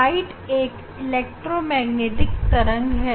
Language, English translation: Hindi, light is an electromagnetic wave